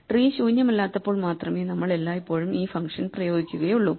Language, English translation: Malayalam, So, we will always apply this function only when tree is non empty